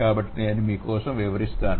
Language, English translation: Telugu, So, let me explain it for you